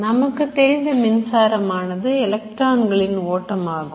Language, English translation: Tamil, Electricity is the flow of electrons